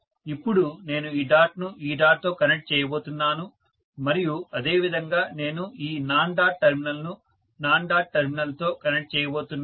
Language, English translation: Telugu, Now, I am going to connect this dot with this dot and similarly, I am going to connect this non dot terminal with that of the non dot terminal